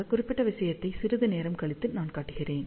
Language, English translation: Tamil, I will show that particular thing little later on